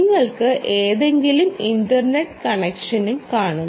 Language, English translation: Malayalam, you have any internet connection